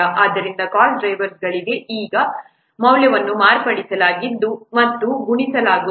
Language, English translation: Kannada, So for cost drivers, their values are modified, are multiplied